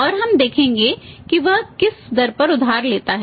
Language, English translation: Hindi, And then in this case she would see that what rate he is borrowing